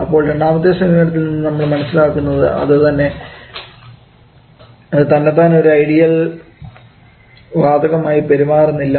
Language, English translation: Malayalam, So we have seen follow from the second approach that the mixture itself is not behaving some like an ideal gas